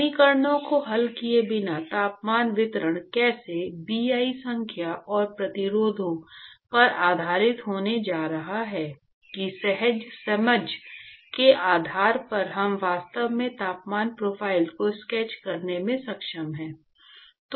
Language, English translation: Hindi, Without solving the equations, simply based on the intuitive understanding of how the temperature distribution is going to be based on the Bi number and resistances, we are able to actually sketch the temperature profile